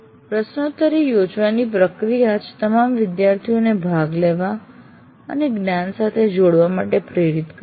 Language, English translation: Gujarati, And the very process of conducting a quiz will make all the students kind of participate and get engaged with the knowledge